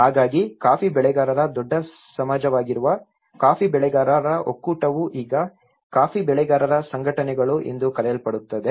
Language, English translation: Kannada, So, being a large society of coffee growers is a coffee growers federation which is now termed as coffee growers organizations